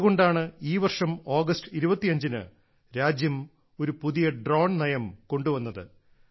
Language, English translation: Malayalam, Which is why on the 25th of August this year, the country brought forward a new drone policy